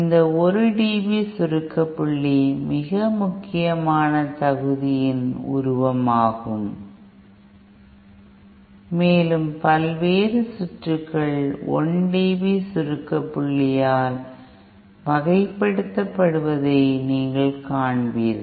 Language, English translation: Tamil, This 1 dB compression point is a very important figure of merit and you will see various circuits are characterized by 1 dB compression point